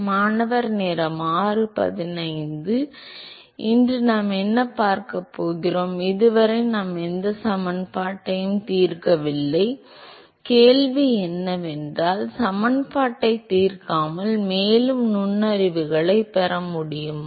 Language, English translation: Tamil, What we are going to see today is so, so far we have not solved any equation, the question is can we get any further insights without solving the equation